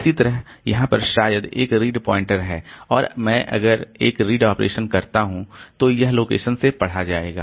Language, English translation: Hindi, Similarly there is a read pointer maybe somewhere here and if I do a read operation then it will be reading from this location